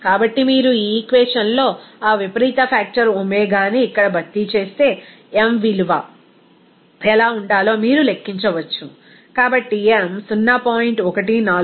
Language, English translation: Telugu, So, if you substitute that eccentric factor omega here in this equation, you can calculate what should be the m value her, so m is coming as 0